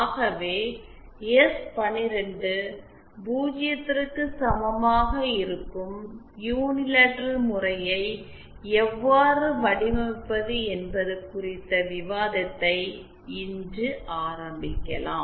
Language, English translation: Tamil, So let us start the discussion today on how to design for the unilateral case where we have S 1 2 is equal to 0